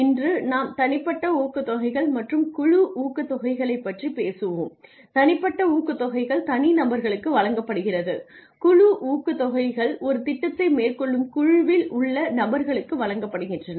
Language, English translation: Tamil, Today we will talk about team incentives the we talked about individual incentives which are given to individuals team incentives are given to teams to groups of people who undertake a project with a purpose